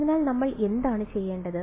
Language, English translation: Malayalam, So, what should we do